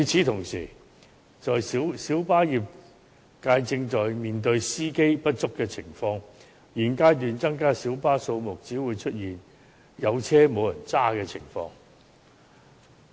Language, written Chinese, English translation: Cantonese, 同時，小巴業界正面對司機不足的情況，在現階段增加小巴數目，只會出現有車輛卻沒有司機駕駛的情況。, Meanwhile the minibus trade is facing the problem of shortage of drivers . Increasing the number of minibuses at the present stage will only give rise to a situation where mini buses are available but drivers are not available